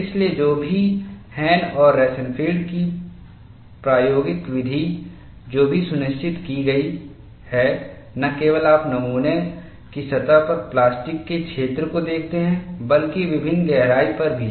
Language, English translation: Hindi, So, whatever the experimental method of Hahn and Rosenfield, also ensured, not only you see the plastic zone on the surface of the specimen, but also at various depths, you have that kind of an advantage